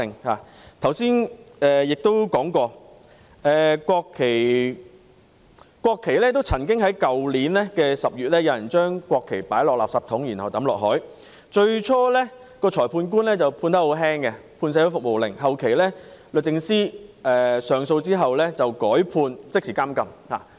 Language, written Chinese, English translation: Cantonese, 我剛才提到有人曾在去年10月將國旗放進垃圾桶，然後丟進海中，最初裁判官輕判社會服務令，後來在律政司上訴後，改判即時監禁。, As I said just now a person who threw the national flag into a rubbish bin before hurling it into the sea last October was first imposed a light penalty of a community service order by the magistrate and was later sentenced to immediate imprisonment following an appeal filed by the Department of Justice